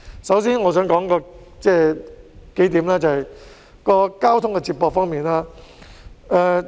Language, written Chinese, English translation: Cantonese, 首先，我想談談交通接駁方面。, To begin with I would like to talk about transport connectivity